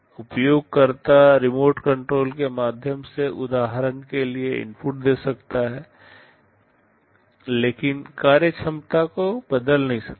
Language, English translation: Hindi, The user can give inputs for example, through the remote controls, but cannot change the functionality